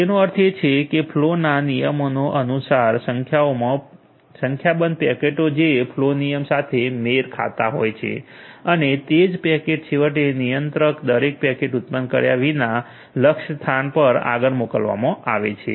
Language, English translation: Gujarati, That means, according to the flow rules multiple number of packets which are matched with the flow rule eventually forward it to the destination without generating the packet at the controller rate